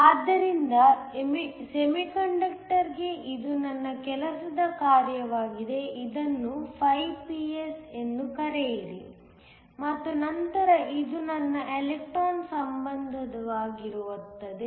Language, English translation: Kannada, So, For the semiconductor this will be my work function call it φPS and then this will be my electron affinity